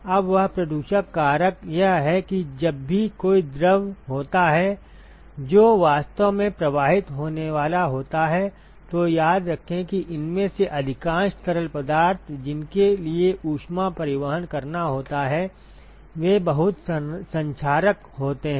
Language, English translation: Hindi, Now what this fouling factor is, is that whenever there is a fluid which is actually going to flow through, so, remember that most of these fluids that for which heat transport has to be done they are very corrosive